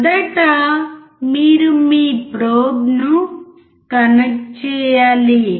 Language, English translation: Telugu, First you have to connect your probe